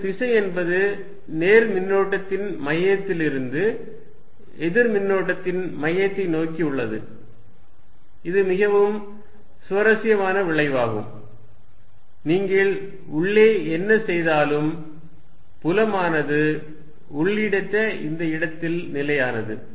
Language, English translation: Tamil, And it is direction is from the centre of the positive charge towards the centre of the negative, this is very interesting result no matter what you do field inside is constant in this hollow region